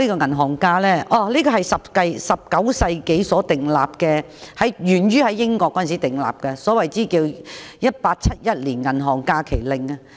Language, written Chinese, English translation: Cantonese, 銀行假期是在19世紀時訂立的，源自英國的《1871年銀行假期法令》。, Bank holidays were the product in the 19 century and originated from the Bank Holidays Act 1871 of the United Kingdom